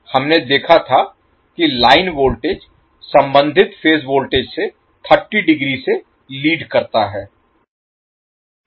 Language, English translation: Hindi, We saw that the line voltage leads the corresponding phase voltage by 30 degree